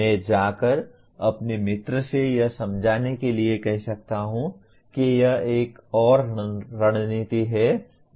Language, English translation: Hindi, I may go and ask my friend to explain it to me or this is another strategy